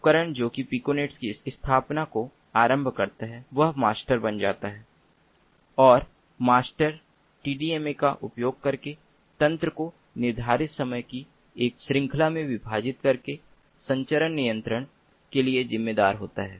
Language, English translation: Hindi, the device that initializes establishment of the piconet becomes the master and the master is responsible for transmission control by dividing the network into a series of time slots using tdma